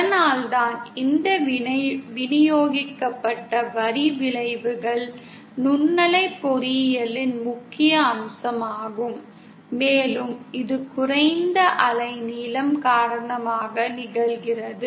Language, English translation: Tamil, So that is why, this distributed line effects are a prominent feature of microwave engineering and that happens because of this low wavelength